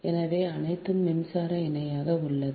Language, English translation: Tamil, right, so all are electrically parallel